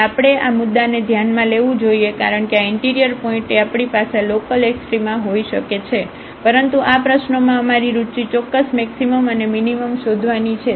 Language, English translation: Gujarati, So, we have to consider this point because we can have local extrema at this interior point, but in this problem we our interest is to find absolute maximum and minimum